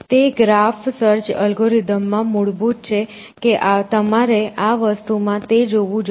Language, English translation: Gujarati, So, it is basic into the graph search algorithm that you must have encounter then some other in this thing